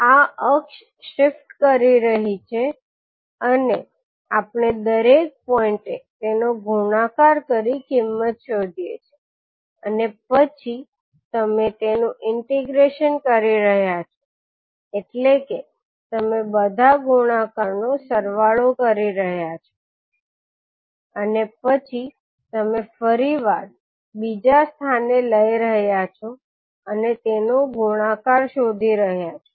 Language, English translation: Gujarati, So at this axis it is shifting and we are trying to find out the value of the product at each and every point and ten you are integrating means you are summing up all the products and then you are again you are taking another location and finding out the product